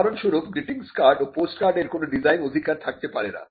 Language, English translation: Bengali, For instance, greeting cards and postcards cannot be a subject matter of a design right